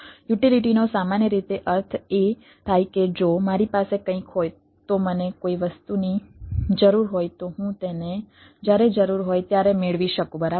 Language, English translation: Gujarati, utility typically means that if i have something, i need something, i should be able to get it as and when i require it